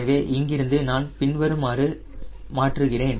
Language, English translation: Tamil, so then from there i convert to three d c